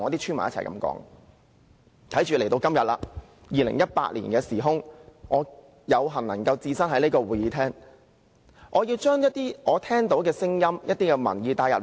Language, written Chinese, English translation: Cantonese, 時至今日，來到2018年，我有幸能夠置身這個會議廳，所以我必須將我聽到的聲音和收到的民意帶進會議。, Today in 2018 I have the honour to be in this Chamber; I must therefore bring to the meeting the voices that I have heard and the public opinions that I have received